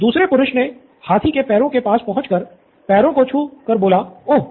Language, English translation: Hindi, The other one went behind the elephant and pulled on the tail said, Wow